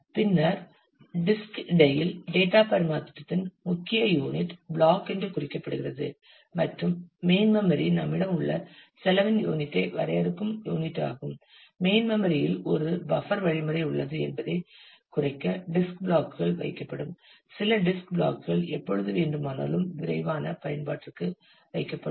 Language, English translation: Tamil, And then noted that block happens to be the major unit of data transfer between the disk and the main memory and therefore, that is the unit of defining unit of cost that we have to incur, and to minimize that we have a buffering strategy in the main memory, where the disk blocks will be kept a few disk blocks will be kept for quick use whenever required